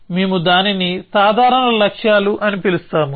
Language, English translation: Telugu, So, that is what we will call it as simple goals